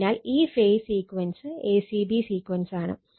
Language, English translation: Malayalam, So, this phase sequence is your a c b sequence right